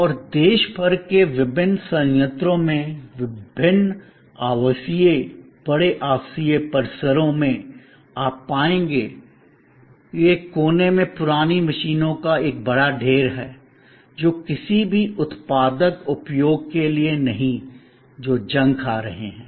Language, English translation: Hindi, And at various plants across the country, at various residential, large residential complexes, you will find that at one corner there is this huge heap of old machines rusting away, not coming to any productive use